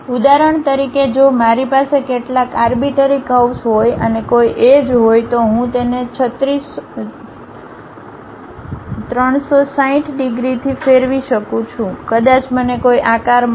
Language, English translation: Gujarati, For example, if I have some arbitrary curve and about an axis if I am going to revolve it by 360 degrees, perhaps I might be going to get one particular shape